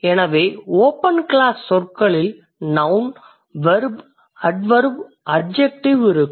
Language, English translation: Tamil, So in the open class words we have nouns, verbs, adverbs and adjectives